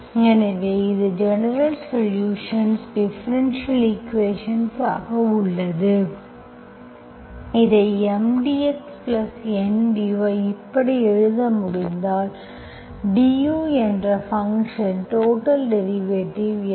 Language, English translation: Tamil, you have a differential equation, put it in this form M dx plus N dy, this if I can write like this, DU, total derivative, so what is the total derivative of a function